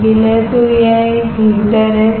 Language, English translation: Hindi, so this is a heater right